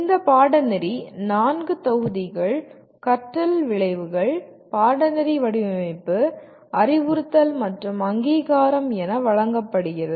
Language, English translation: Tamil, The course is offered as 4 modules, learning outcomes, course design, instruction, and accreditation